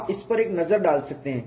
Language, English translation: Hindi, You can have a look at it